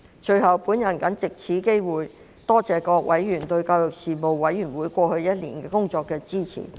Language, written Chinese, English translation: Cantonese, 最後，我藉此機會多謝各委員對事務委員會過往1年工作的支持。, Lastly I would like to take this opportunity to thank members for their support of the work of the Panel over the past year